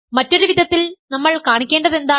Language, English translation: Malayalam, What we have to show in other words